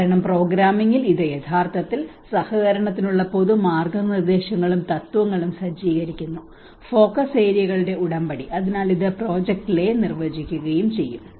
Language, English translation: Malayalam, Because in the programming it actually sets up the general guidelines and principles for cooperation, agreement of focus areas so it will also define the project lay